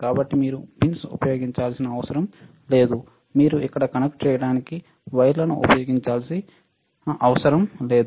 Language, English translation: Telugu, So, you do not have to use the pins, you do not have to use the wires to connect it here